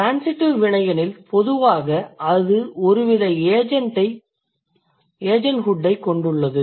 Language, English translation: Tamil, If the verb is transitive, generally it carries some kind of agenthood, right